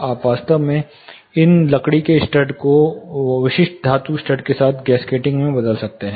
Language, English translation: Hindi, You can actually replace these wooden studs with specific metal studs with gasketing